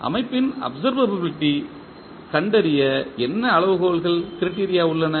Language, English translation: Tamil, What is the criteria to find out the observability of the system